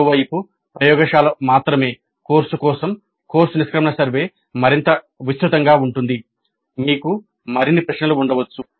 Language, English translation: Telugu, On the other hand course its course exit survey for a laboratory only course can be more elaborate we can have more questions